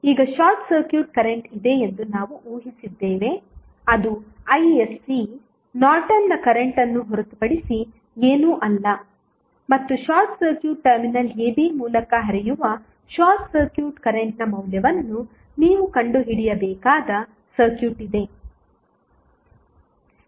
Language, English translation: Kannada, Now, we have assume that there is a short circuit current Isc which is nothing but the Norton's current and you have the circuit you need to find out the value of short circuit current flowing through short circuited terminal AB